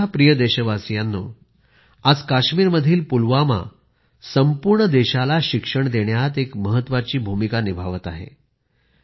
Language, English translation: Marathi, Today, Pulwama in Kashmir is playing an important role in educating the entire country